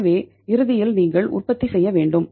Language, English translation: Tamil, So ultimately you have to go for the production